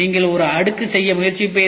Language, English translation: Tamil, You will try to make a single layer